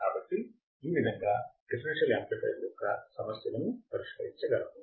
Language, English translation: Telugu, So, this is how we can solve the problem for the differential amplifier